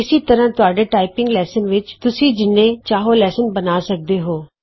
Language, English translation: Punjabi, Similarly you can create as many levels as you want in your typing lesson